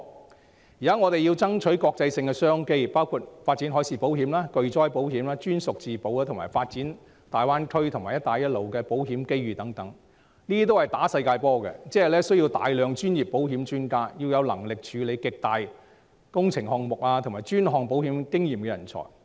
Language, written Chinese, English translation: Cantonese, 但現在我們要爭取國際商機，包括發展海事保險、巨災保險、專屬自保，以及發展大灣區和"一帶一路"的保險機遇等，這些均是打"世界波"，需要大量保險專家，要有能力處理極大型工程項目及專項保險經驗的人才。, Now we need to tap international opportunities including marine insurance catastrophe insurance captive insurance and the insurance opportunities in the Greater Bay Area and the Belt and Road . All of these are international business which requires a large number of insurance experts and talents with the ability and experience to handle mega works projects and specialty risks